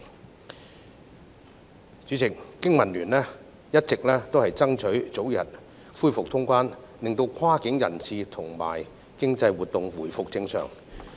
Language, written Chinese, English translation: Cantonese, 代理主席，經民聯一直爭取早日恢復通關，令跨境人流及經濟活動回復正常。, Deputy President BPA has been striving for early resumption of cross - boundary travel so that cross - border flow of people and economic activities can return to normal